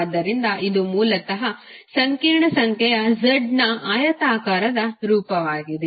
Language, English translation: Kannada, So, this is basically the rectangular form of the complex number z